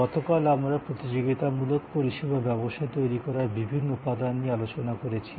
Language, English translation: Bengali, Yesterday, we discussed the different elements that go into creating a competitive service business